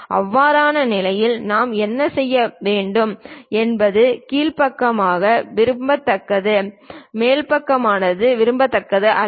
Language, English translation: Tamil, In that case what we will do is lower side is preferable upper side is not preferable